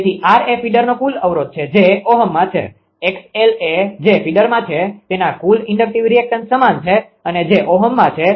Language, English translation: Gujarati, So, r is the total resistance of the feeder that is in ohm; x l is equal to total inductive reactance of the feeder it is in ohm